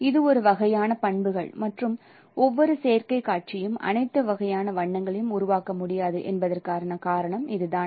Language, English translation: Tamil, So that is one kind of no property and that is the reason why every display additive display cannot produce all sorts of colors